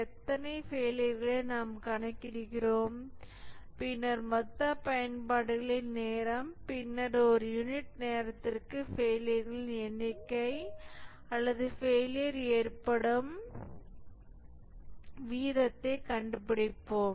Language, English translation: Tamil, We just count how many failures and then the total time of uses and then find the number of failures per unit time or the rate of occurrence of failure